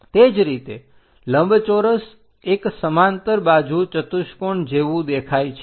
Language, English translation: Gujarati, Similarly, a rectangle looks like a parallelogram